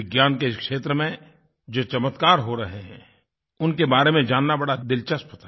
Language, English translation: Hindi, It was interesting to know about the ongoing miraculous accomplishments in the field of Science